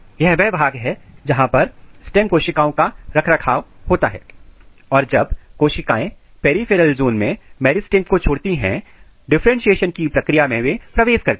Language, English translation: Hindi, This is the region where stem cells are maintained and when this stem cell, when the cells leaves the meristem in the peripheral zone, it undergo the process of differentiation